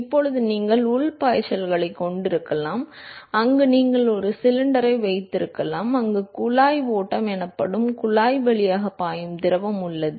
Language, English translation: Tamil, Now, you could have internal flows, where you could have a cylinder, where you have fluid which is flowing through a tube, called the pipe flow